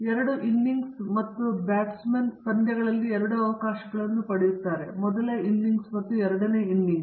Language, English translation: Kannada, There are two innings and the batsman gets two chances in a match, first innings and second innings